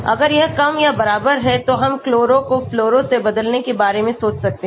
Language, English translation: Hindi, If it less or equal, we may think of replacing the chloro with the fluoro